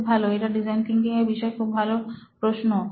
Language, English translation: Bengali, Excellent that is a brilliant design thinking question to ask